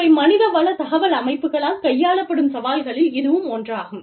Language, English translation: Tamil, But, this is one of the challenges, that is dealt with by the, HR information systems